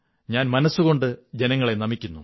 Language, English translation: Malayalam, I heartily bow to my countrymen